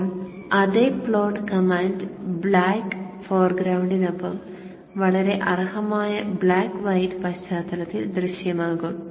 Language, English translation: Malayalam, So now the same plot command would appear in the much deserved white background with the black foreground